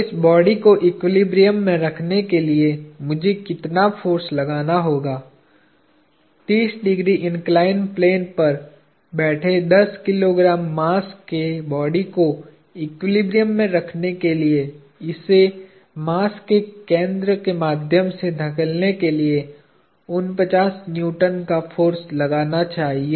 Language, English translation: Hindi, So, how much force do I have to exert to keep this body in equilibrium a ten kg mass sitting on a 30 degree inclined plane has to have a force of 49 Newtons pushing it through the center of mass to keep the body in equilibrium